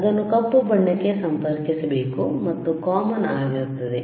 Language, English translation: Kannada, You connect it to black, and common is same,